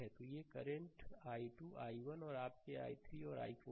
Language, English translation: Hindi, So, ah these are the current i 2 i 1 and your i 3 and i 4, right